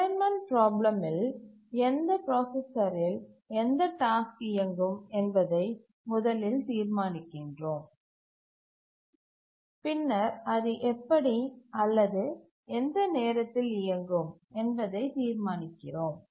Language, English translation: Tamil, In the assignment problem, we first decide which task will run on which processor and then how or what time will it run